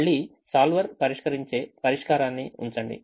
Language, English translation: Telugu, solve it again, keep the solver solution